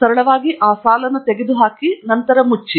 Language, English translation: Kannada, We simply remove that line and then Close